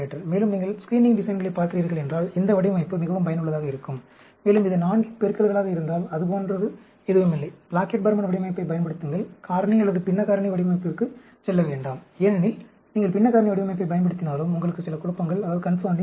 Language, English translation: Tamil, And, this design is extremely useful, if you are looking at screening designs; and, if it is multiples of 4, nothing like it, use a Plackett Burman design; do not go for factorial or fractional factorial design; because, even if you use a fractional factorial design, you have some confounding